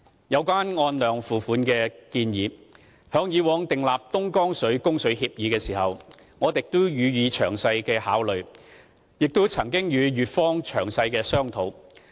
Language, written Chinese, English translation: Cantonese, 有關"按量付費"的建議，在以往訂立東江水供水協議時，我們亦予以仔細考慮，並曾與粵方詳細商討。, Regarding the quantity - based charging approach we have carefully considered it when negotiating an agreement on Dongjiang water supply and discussed it in detail with the Guangdong side in the past